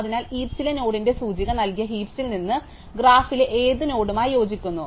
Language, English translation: Malayalam, So, from the heap given the index of the node in the heap, which node in the graph does it correspond to